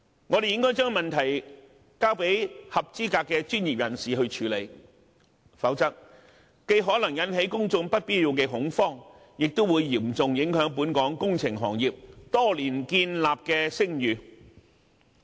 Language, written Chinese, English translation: Cantonese, 我們應該將問題交由合資格的專業人士處理，否則，既可能引起公眾不必要的恐慌，亦會嚴重影響本港工程行業多年來建立的聲譽。, We should therefore leave the matter in the hands of qualified professionals otherwise it may cause unnecessary panic among the public and seriously undermine the reputation established by the local engineering industry over the years